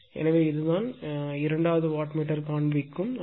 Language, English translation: Tamil, So, this is the reading of the second wattmeter right